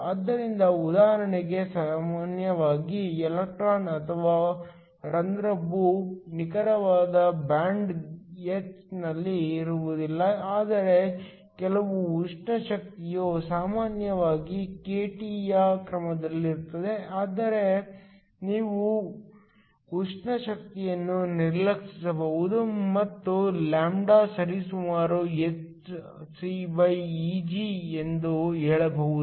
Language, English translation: Kannada, So, usually the electron or the hole is not located exactly at the band h, but there is some thermal energy is typically of the order of kT, but we can ignore the thermal energy and say that lambda is approximately hcEg